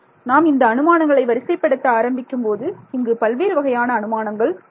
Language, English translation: Tamil, So, when we began to list out the assumptions we can see that there are so many over here right all right